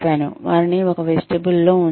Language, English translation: Telugu, They are put in a vestibule